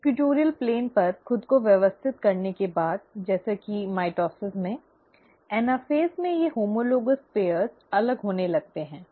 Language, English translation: Hindi, After they have arranged themselves at the equatorial plane, just like in mitosis, in anaphase, these homologous pairs start moving apart